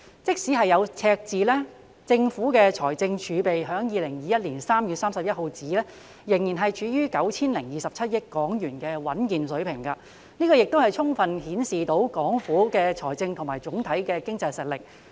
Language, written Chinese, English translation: Cantonese, 即使有赤字，政府的財政儲備至2021年3月31日仍處於 9,027 億港元的穩健水平。這亦充分顯示出港府的財政和總體經濟實力。, Even with a deficit the fiscal reserve of the Government still stands at a robust level of 902.7 billion as at 31 March 2021 which amply indicates local Governments financial and aggregated economic strength